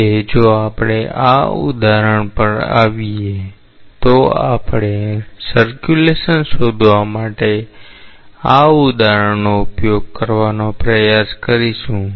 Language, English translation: Gujarati, Now, if we come to this example, we will try to utilize this example to find out the circulation